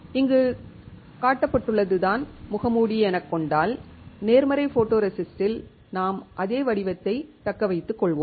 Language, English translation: Tamil, If this is the mask here which is shown for the positive photoresist we will retain the same pattern